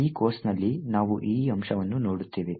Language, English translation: Kannada, In this course we will be looking at this particular aspect